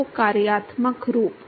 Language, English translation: Hindi, So, the functional form